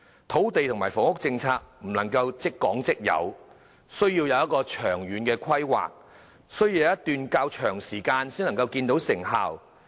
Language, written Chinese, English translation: Cantonese, 土地和房屋政策並不能一蹴而就，需要有長遠的規劃，經過一段較長時間才能看見成效。, No land and housing policy can achieve any instant results . Long - term planning is required and it will take a long time before the results can be seen